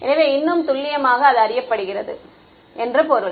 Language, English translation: Tamil, So, more precisely means it is known